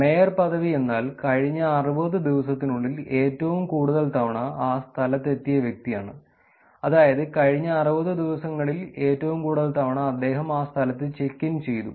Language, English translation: Malayalam, Mayorship is nothing, but it is the person who is being to that place for most number of times in the last 60 days, which is